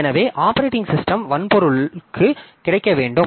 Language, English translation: Tamil, So operating system must be made available to hardware, so hardware can start it